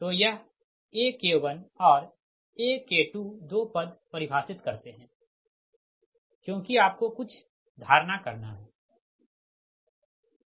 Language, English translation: Hindi, so this ak one and ak two, these two terms are define because you have to make some approximation, right